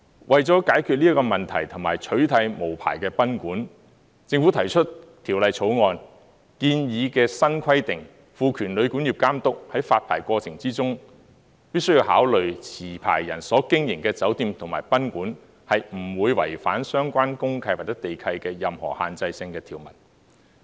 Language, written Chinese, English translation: Cantonese, 為了解決這個問題及取締無牌賓館，政府提出《條例草案》建議的新規定，賦權旅館業監督在發牌過程中，必須考慮持牌人所經營的酒店及賓館，不會違反相關公契或地契的任何限制性條文。, In order to address this issue and get rid of unlicensed guesthouses the Government proposes in the Bill new requirements by empowering the Authority to take into account the fact that the hotel and guesthouse operated by the licensee do not breach the relevant restrictive provisions in deeds of mutual covenant or land leases